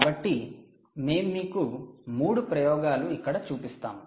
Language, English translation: Telugu, ok, so we will show you three experiments here